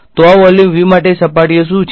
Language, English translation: Gujarati, So, on for this volume V what are the surfaces